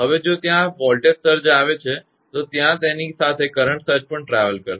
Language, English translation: Gujarati, If there is a voltage surge, then there will be associate current surge along with it will travel